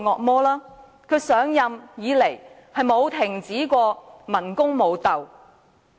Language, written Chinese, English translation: Cantonese, 自梁振英上任以來，從未停止過文攻武鬥。, Ever since he assumed office LEUNG Chun - ying has never stopped launching verbal and physical assaults